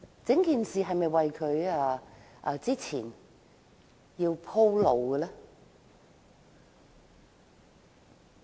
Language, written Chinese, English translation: Cantonese, 整件事是否為她鋪路呢？, Was the whole incident paving a way for her?